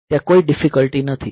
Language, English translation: Gujarati, So, there is no difficulty